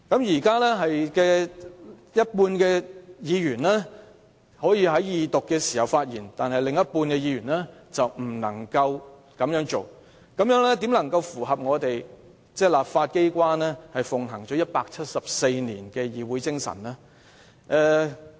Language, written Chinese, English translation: Cantonese, 現在只有半數議員可以在二讀辯論時發言，但另半數議員不能夠發言，這樣怎能符合本地立法機關奉行了174年的議會精神呢？, Now that only half of all Members can speak at the Second Reading debate and the other half are unable to do so how can we uphold the spirit that the local legislature has followed for 174 years?